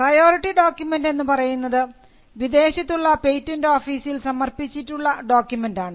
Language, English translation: Malayalam, In some cases, there could be a priority document which is a document filed in a foreign patent office